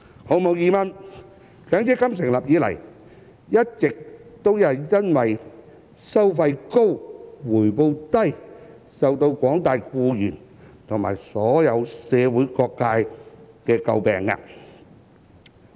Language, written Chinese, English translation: Cantonese, 毫無疑問，強積金成立以來，一直都因為"收費高、回報低"而為廣大僱員及社會各界所詬病。, Undoubtedly MPF has been criticized by employees at large and various sectors of the community for its high fees and low returns since its establishment